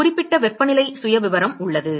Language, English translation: Tamil, There is a definite temperature profile